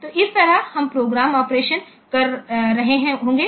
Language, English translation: Hindi, So, this way, this programme will be doing the operation